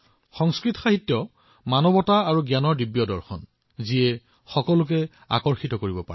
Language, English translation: Assamese, Sanskrit literature comprises the divine philosophy of humanity and knowledge which can captivate anyone's attention